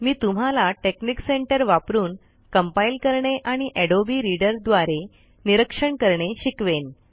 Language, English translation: Marathi, I will show how to compile using Texnic center and view through Adobe Reader